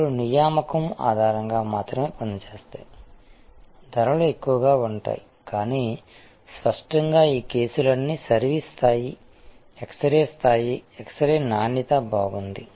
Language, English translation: Telugu, Then, only operate on the basis appointment the prices are higher, but; obviously, all this cases will assume that the service level is, that x ray level is, x ray quality is good